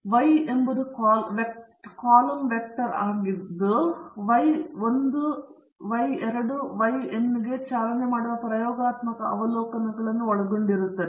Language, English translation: Kannada, You have the Y column vector, which is comprising of the n experimental observations running from Y 1, Y 2 so on to Y n